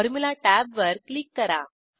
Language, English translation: Marathi, Click on the Formula tab